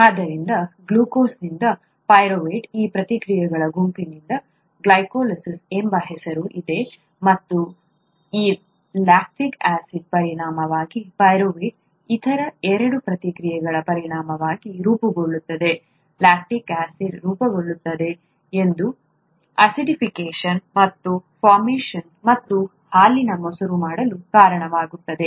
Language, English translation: Kannada, So glucose to pyruvate, has, these set of reactions has a name it’s called glycolysis and as a result of this lactic acid gets formed as a result of two other reactions from pyruvate, lactic acid gets formed which causes acidification and formation and curdling of milk